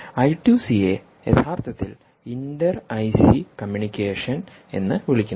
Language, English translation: Malayalam, i two c is actually called inter i c communication